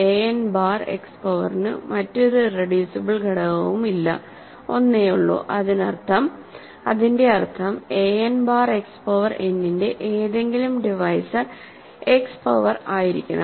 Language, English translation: Malayalam, There is no other irreducible factor for a n bar X power n there is only one that means, any divisor of a n bar X power n must be a power of X